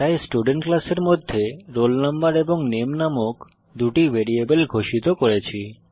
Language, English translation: Bengali, So inside this class Student let me declare two variables Roll Number and Name